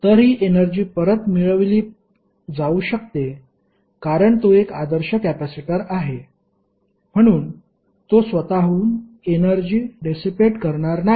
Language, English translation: Marathi, So, this energy can be retrieve because it is an ideal capacitor, so it will not dissipates energy by itself